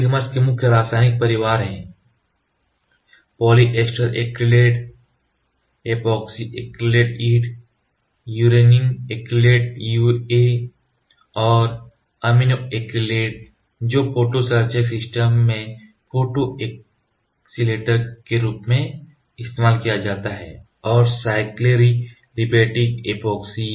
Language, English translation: Hindi, The main chemical families of oligomer are poly ester acrylate PEA, epoxy acrylate EA, urethane acrylates UA and amino acrylates used as photo accelerators in the photo initiator systems and cycloaliphatic epoxies